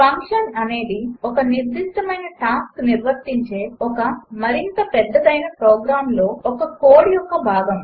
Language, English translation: Telugu, A function is a portion of code within a larger program that performs a specific task and is relatively independent of the remaining code